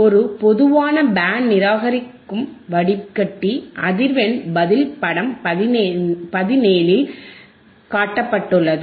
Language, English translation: Tamil, A typical Band Reject Filter, A typical Band Reject Filter frequency response is shown in figure 17